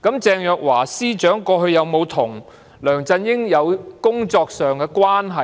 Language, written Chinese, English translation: Cantonese, 鄭若驊司長過往跟梁振英有否有工作關係呢？, Was there a working relationship between Secretary for Justice Teresa CHENG and LEUNG Chun - ying in the past?